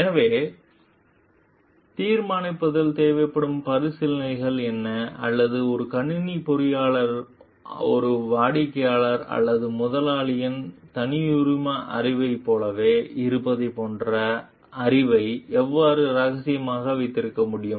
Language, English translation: Tamil, So, what are the considerations which are required in deciding or how a computer engineer can base keep the knowledge of like confidential as they are like proprietary knowledge of a client or employer